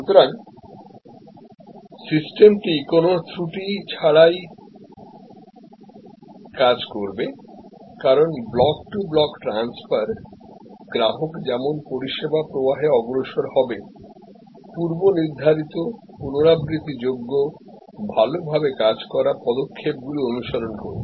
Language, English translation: Bengali, So, the system will work without any glitch, because block to block transfer, the customer as he or she proceeds to the service flow will follow predetermined, repeatable, well worked out steps